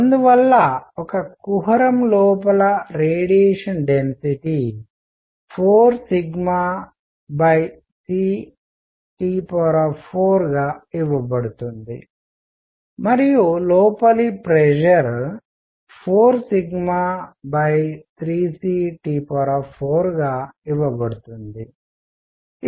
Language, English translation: Telugu, And therefore, the radiation density inside a cavity is going to be given by 4 sigma by c T raise to 4 and pressure inside is going to be given as 4 sigma by 3 c T raise to 4